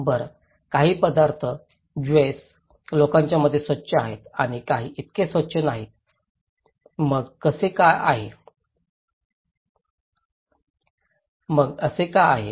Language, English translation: Marathi, Well, some foods are clean according to the Jews people and some are not so clean, so why it is so